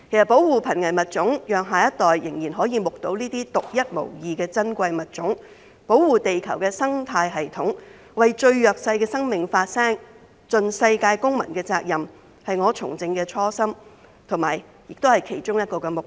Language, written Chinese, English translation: Cantonese, 保護瀕危物種，讓下一代可以繼續目睹這些獨一無二的珍貴物種、保護地球的生態系統、為最弱勢的生命發聲、盡世界公民的責任，是我從政的初心，也是其中一項目標。, Protecting endangered species so that our future generations can enjoy the same luxury of seeing these unique and rare species protecting ecosystems on Earth voicing out for the vulnerable ones and fulfilling the responsibilities as a global citizen were my original intentions and goals when I first engaged in politics